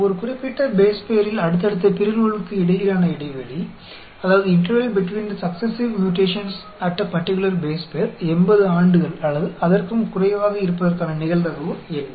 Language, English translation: Tamil, What is the probability that the interval between the successive mutations at a particular base pair is 80 years or less